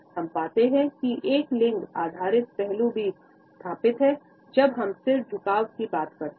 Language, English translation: Hindi, We find that a gender based aspect is also associated with a head tilt